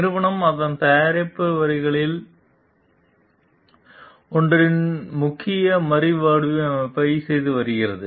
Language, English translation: Tamil, The company is doing a major redesign of its one of its product lines